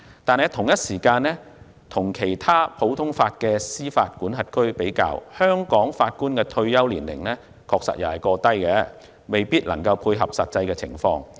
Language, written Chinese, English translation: Cantonese, 與此同時，與其他普通法司法管轄區比較，香港法官的退休年齡確實過低，未必能夠配合實際情況。, As compared with other common law jurisdictions the retirement age of judges in Hong Kong is indeed too low and may not be in line with the actual situation